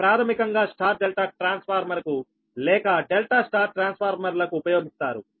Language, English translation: Telugu, this basically for star delta transformer or delta star transformer, the star side basically used for the high voltage